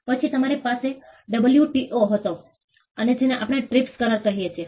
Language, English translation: Gujarati, Then we had the WTO and what we call the TRIPS agreement